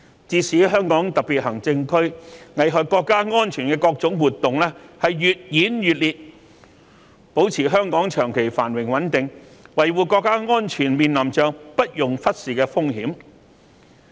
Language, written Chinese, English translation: Cantonese, 自從香港特別行政區危害國家安全的各種活動越演越烈，保持香港長期繁榮穩定、維護國家安全，面臨着不容忽視的風險。, Since various activities affecting national security began to intensify in HKSAR the risks to maintaining long - term prosperity and stability of Hong Kong and upholding national security have become so significant that they should not be neglected